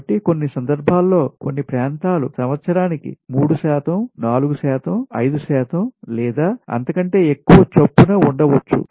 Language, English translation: Telugu, so some cases, some places maybe, it is at a rate of three percent, four percent, five percent annually or even more